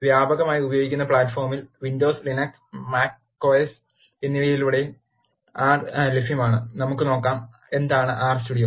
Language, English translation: Malayalam, R is available across widely used platforms, windows, line x and macOS Now, let us see, what is R Studio